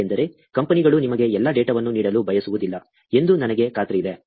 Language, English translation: Kannada, Because, I am sure, the companies do not want to give you all the data also